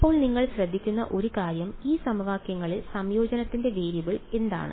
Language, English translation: Malayalam, Now, one thing that you will notice is in these equations what is the variable of integration